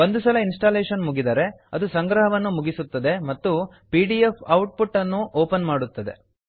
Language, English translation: Kannada, Once the installation completes, it will finish the compilation and open the pdf output